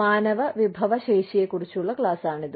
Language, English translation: Malayalam, This is a class on human resources